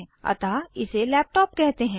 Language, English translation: Hindi, Hence, it is called a laptop